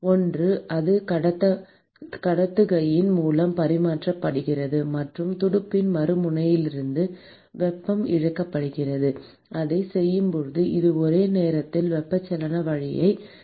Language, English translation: Tamil, One is it is transferring by conduction and the heat is being lost from the other end of the fin; and while doing that it is also simultaneously losing heat way of convection